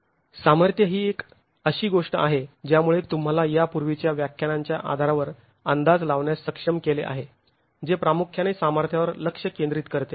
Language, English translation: Marathi, Strength is something you've already been able to estimate based on the, you'll be able to estimate based on the previous lectures which focus primarily on strength